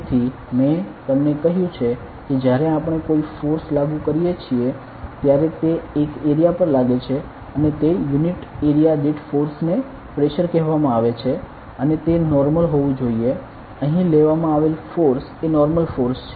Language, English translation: Gujarati, So, we told you that when we apply a force it acts on an area and that force per unit area is called as pressure, and it should be normal the force taken here is the normal force ok